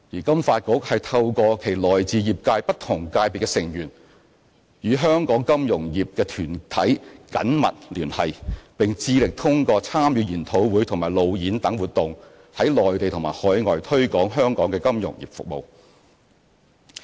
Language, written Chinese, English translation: Cantonese, 金發局透過其來自業界不同界別的成員，與香港金融業團體緊密聯繫，並致力通過參與研討會和路演等活動在內地和海外推廣香港的金融服務業。, With the assistance of its members from different fields of the sector FSDC has maintained close liaison with organizations of the local financial sector and is committed to promoting the financial services industry of Hong Kong in the Mainland and overseas through its participation in different activities like seminars and roadshows